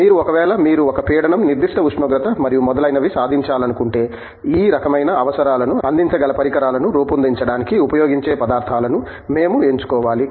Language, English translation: Telugu, If you letÕs say, you want to achieve a pressure, certain temperature and so on, we need to select materials which will be used to fabricate the equipment which can deliver these kinds of requirements